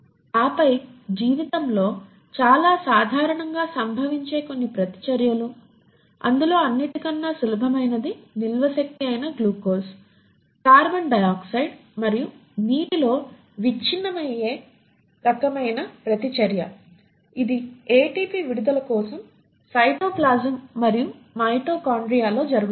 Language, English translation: Telugu, And then some of the reactions which very commonly occur in life, the most easy one is the reaction where the glucose which is your stored energy is kind of broken down into carbon dioxide and water, this happens in cytoplasm and mitochondria for the release of ATP